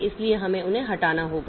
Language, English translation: Hindi, So, we have to delete them